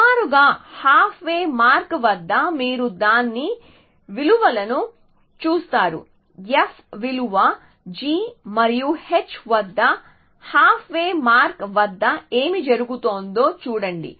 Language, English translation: Telugu, Roughly, at the half way mark you look at its values what would happen at the half way mark at the f value g and h should be roughly equally